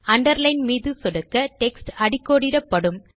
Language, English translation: Tamil, Clicking on the Underline icon will underline your text